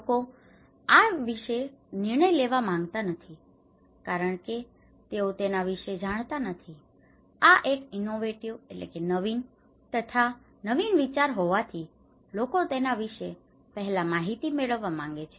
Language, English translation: Gujarati, People do not want to make decisions because they do not know about this one, this is an innovative idea, this is the new, so people want to get information about this one